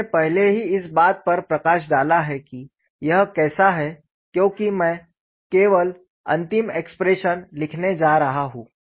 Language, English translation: Hindi, I have already highlighted how it is because I am going to write only the final expression and just verify whether you have got the similar expression